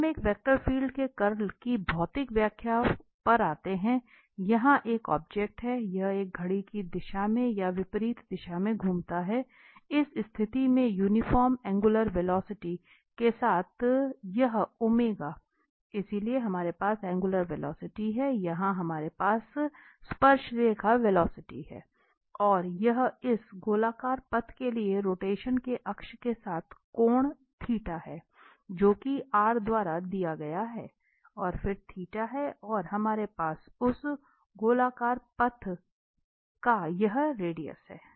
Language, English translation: Hindi, So coming to the physical interpretation of the curl of a vector field we suppose, an object here, it rotates in a clockwise rotation, anti clockwise rotation here in this situation with the uniform angular velocity, this omega, so we have the angular velocity, given here we have the tangential velocity, and this is the angle theta with the axis of rotation to this circular path here, that is given by the r, vector and this is theta and then we have this radius of that circular path